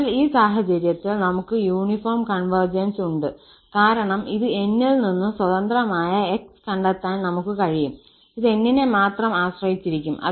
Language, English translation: Malayalam, So, in this case, we have the uniform convergence because we are able to find this N which is free from x, it depends only on epsilon